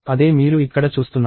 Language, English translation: Telugu, That is what you see here